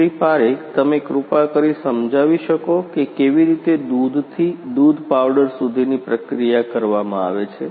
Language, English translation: Gujarati, Parik could you please explain how the processing is done from milk to milk powder